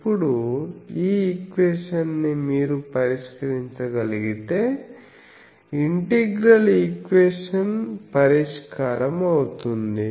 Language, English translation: Telugu, Now, this equation if you can solve that means integral equation solving, then we can find the current distribution